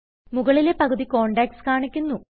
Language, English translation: Malayalam, The top half displays the contacts